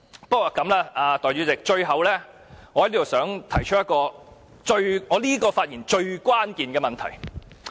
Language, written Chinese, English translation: Cantonese, 不過，代理主席，最後我想在這次發言中提出一個最關鍵的問題。, Deputy Chairman lastly I would like to raise one most crucial issue in this speech